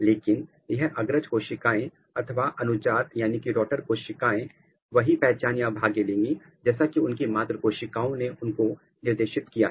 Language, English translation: Hindi, So, this descendants cells or the daughter cells they are going to take the identity or the fate as instructed by their parent cell